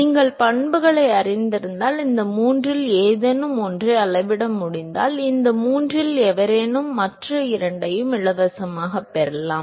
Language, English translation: Tamil, If you know the properties and if are able to measure either of these three, anyone of these three the other two comes for free